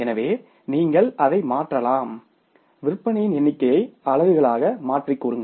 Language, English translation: Tamil, So, you can convert that number of sales into the units also